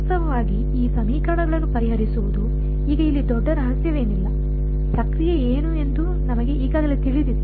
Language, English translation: Kannada, Actually solving this these equation is now there is no great mystery over here, we have already know it what is the process